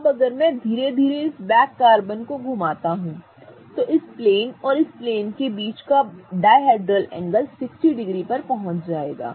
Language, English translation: Hindi, Now if I slowly rotate this back carbon, the dihydral angle between this plane and this plane will get to 60 degrees